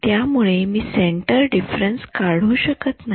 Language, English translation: Marathi, So, I cannot do centre difference